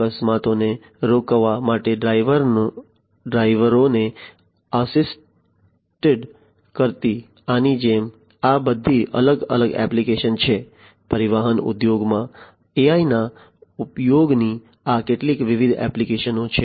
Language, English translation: Gujarati, Like this assisting drivers to prevent accidents these are all different applications; these are some of the different applications of use of AI in transportation industry